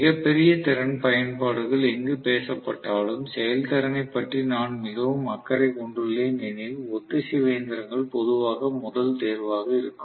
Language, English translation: Tamil, So, we are going to generally see that wherever very large capacity applications are talked about, where I am extremely concerned about the efficiency, synchronous machines generally are the first choices